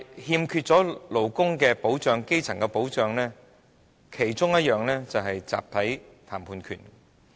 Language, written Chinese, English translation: Cantonese, 但是，勞工和基層欠缺保障，其中一種就是"集體談判權"。, However workers and the grass roots lack protection and one form of protection is the right to collective bargaining